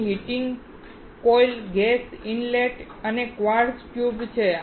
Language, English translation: Gujarati, There are heating coils, gas inlet here and a quartz tube